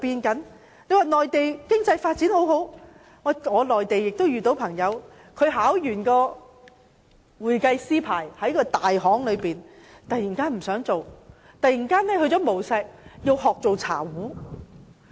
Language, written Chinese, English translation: Cantonese, 我們都說內地經濟發展良好，但我遇到一位內地朋友，他考取會計師牌後在一間大行工作，但他突然不想繼續工作，改為到無錫學做茶壺。, We all say that the Mainland economy is blooming; yet a friend of mine from the Mainland who worked in a major firm after becoming a qualified accountant suddenly quitted his job and went to Wuxi to learn how to make teapots